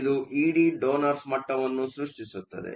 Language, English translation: Kannada, So, this creates the donor levels E D